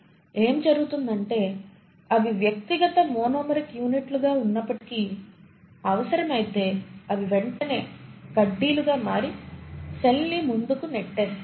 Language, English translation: Telugu, So what happens is though they were existing as individual monomeric units, if the need be they immediately organise as rods and push the cell forward